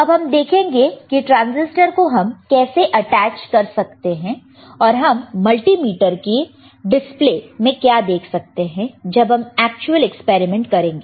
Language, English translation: Hindi, So, we will see how we can attach the transistor, and what kind of display we will see on the multimeter when we do the actual experiment